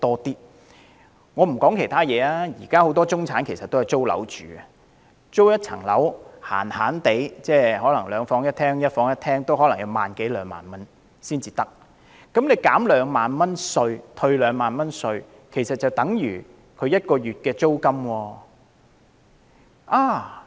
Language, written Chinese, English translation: Cantonese, 不說其他，以現時很多中產人士均租住私人物業來說，一個兩房一廳或一房一廳物業的租金基本上已達萬多兩萬元 ，2 萬元退稅額其實已相等於1個月租金。, Putting aside other matters let me focus on the fact that many people in the middle class are now living in rented private accommodation . In order to rent a flat consisting of two bedrooms or one bedroom they basically have to pay a monthly rent ranging from over 10,000 to nearly 20,000 and the tax concession amount of 20,000 is actually equivalent to one months rent